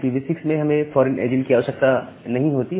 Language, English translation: Hindi, So, we do not require a foreign agent here in IPv6